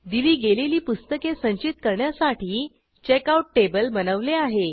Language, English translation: Marathi, I have created Checkout table to store borrowed books